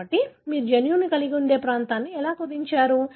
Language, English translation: Telugu, So, that's how you narrow down a region, which possibly could have the gene